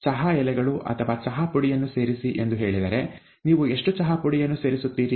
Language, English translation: Kannada, If it says add tea leaves or tea dust, how much tea dust do you add